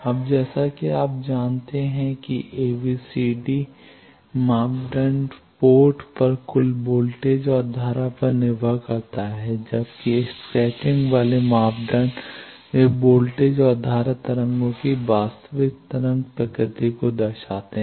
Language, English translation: Hindi, Now, as you know that ABCD parameter depends on total voltage and current at ports whereas, scattering parameters they reflect the true wave nature of the voltage and current waves